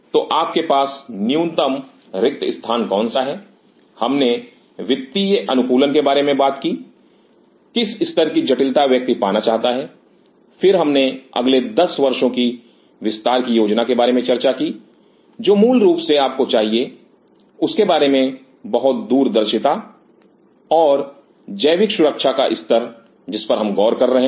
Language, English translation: Hindi, So, what is the bare minimum space you have, we talked about the financial optimization what level of sophistication one ways to achieve, then we talked about the plan of expansion in next 10 years which is basically you need lot of farsightedness about it and the level of biological safety at which we are looking at